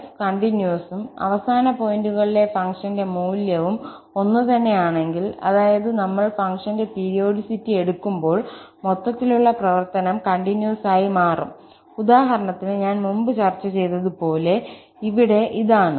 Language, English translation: Malayalam, So, what do we have now, that if f is continuous and value of the function at the endpoints are also same, that means, when we take the periodicity of the function, the overall function will become continuous, like, in the example, I have just discussed before that for instance, this is the case here